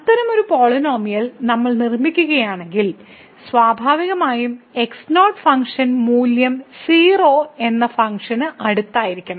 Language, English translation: Malayalam, We expect such a polynomial if we construct then there should be close to the function naturally at function value is 0